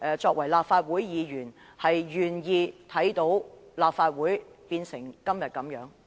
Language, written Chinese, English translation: Cantonese, 作為立法會議員，大家會否願意看到立法會落得如此境地？, Are we as Members of this Council willing to see this Council come to such a pass?